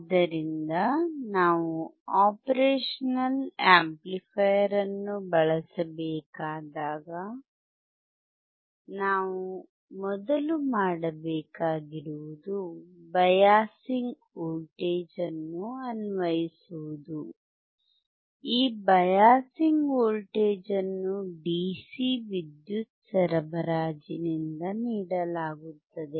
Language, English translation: Kannada, So, when we have to use operational amplifier, the first thing that we have to do is apply the biasing voltage, this biasing voltage is given by the DC power supply